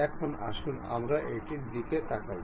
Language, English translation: Bengali, Now, let us look at it